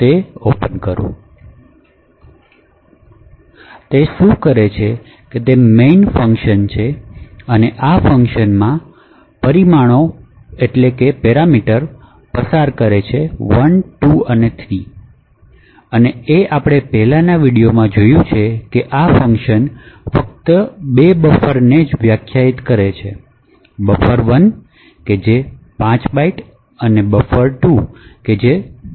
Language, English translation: Gujarati, So what it does is that it has a main function and an invocation to this function which is passed parameters 1, 2 and 3 and as we have seen in the previous videos this function just defines two buffers, buffer 1 of 5 bytes and buffer 2 of 10 bytes